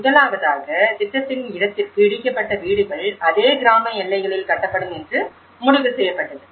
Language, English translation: Tamil, First of all, the site of the project it was decided that the houses will be built in the same village boundaries as the demolished houses that is number 1